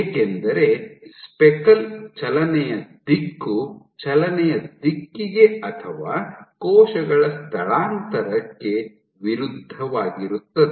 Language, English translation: Kannada, because the speckle movement direction is opposite to the direction of motion or cell migration